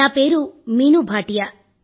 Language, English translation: Telugu, My name is Meenu Bhatia